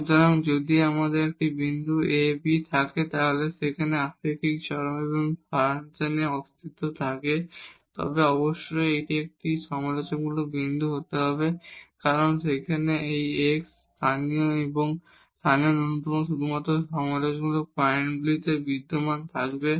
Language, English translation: Bengali, So, if we have a point a b where the relative extremum exists of this function then definitely that has to be a critical point because those x, local extremum and local minimum will exist only on the critical points